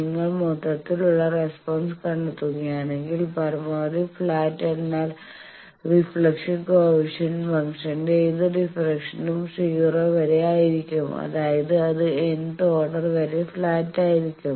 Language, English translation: Malayalam, We are assuming mathematics just to expand and if you find that the overall response, if you maximally flat means up to any differentiation of the reflection coefficient function that will be 0, that means, it will be flat up to nth order